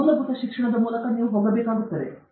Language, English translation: Kannada, You have to go through the basic courses